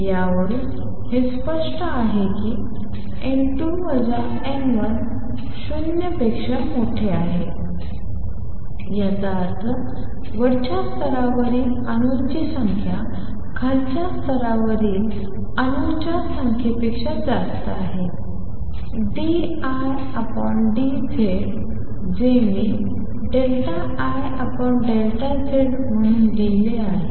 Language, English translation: Marathi, From this it is clear if n 2 minus n 1 is greater than 0; that means the number of atoms in the upper level is more than the number of atoms in the lower level d I by d Z which I am writing as delta I over delta S